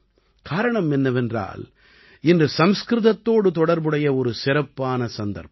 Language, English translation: Tamil, The reason for this is a special occasion related to Sanskrit today